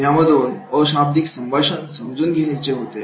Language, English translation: Marathi, So that these non verbal communication they can understand